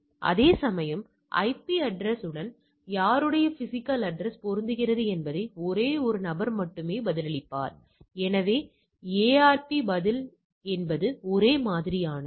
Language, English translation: Tamil, Whereas, only one fellow will reply whose physical address which logical address matches with the IP and since the physical address, so it is ARP reply is unicast all right